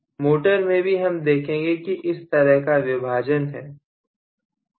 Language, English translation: Hindi, In motors also we have all these classifications